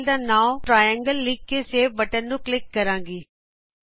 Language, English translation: Punjabi, I will type the file name as Triangle and click on Save button